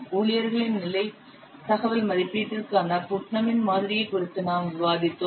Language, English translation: Tamil, We have discussed the Putnam's model for staffing level information estimation